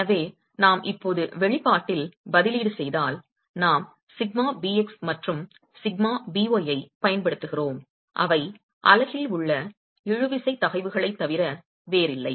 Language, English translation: Tamil, So, if we now substitute in the expression we have been using sigma bx and sigma b y which are nothing but tensile stresses in the unit